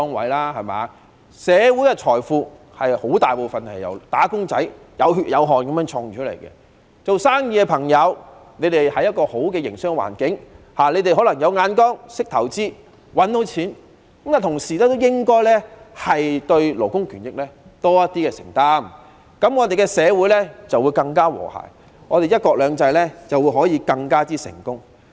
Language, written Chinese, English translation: Cantonese, 大部分的社會財富均是由"打工仔"有血有汗地賺回來的，做生意的朋友能夠在好的環境營商，可能是因為他們有眼光、懂得投資、懂得賺錢，但他們應該同時對勞工權益有多一點承擔，這樣社會便會更和諧、"一國兩制"便能更成功。, The success of those businessmen who can operate under a desirable business environment may be attributable to their foresight knowledge of investment and knowledge of making profits . But at the same time they should have a bit more commitment to labour rights and interests . As such our society will be more harmonious and one country two systems will be more successful